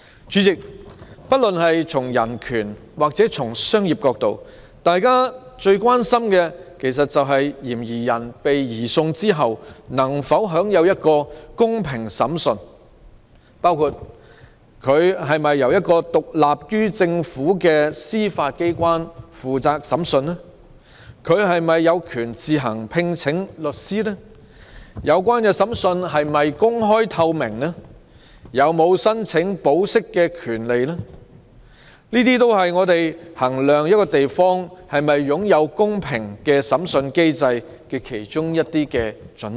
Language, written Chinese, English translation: Cantonese, 主席，不論從人權還是商業角度來看，大家最關心的是，嫌疑人被移送後能否享有公平審訊，包括是否由獨立於政府的司法機關負責審訊、他是否有權自行聘請律師、有關審訊是否公開透明、他有否申請保釋的權利等，都是我們衡量一個地方是否擁有公平審訊機制的準則。, President whether from a human rights or a commercial point of view the grave concern is whether a suspect can be given a fair trial after being surrendered including whether he will be tried by a judicial body independent of the Government whether he will have the right to hire a lawyer whether the trail will be open and transparent and whether he has the right to apply for bail etc . These are the criteria for us to measure whether a certain place has a fair trial mechanism